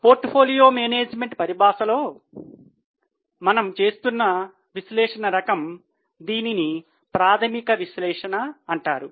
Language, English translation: Telugu, The type of analysis which we are doing in portfolio management parlance, this is known as fundamental analysis